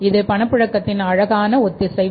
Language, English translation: Tamil, So, cash flow synchronization